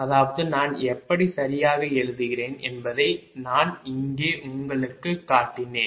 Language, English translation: Tamil, i showed you here that how i am writing, right